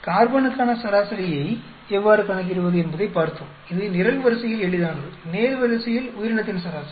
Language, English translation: Tamil, We then looked at how to calculate the average for carbon, which is easy along the column, average for organism along the row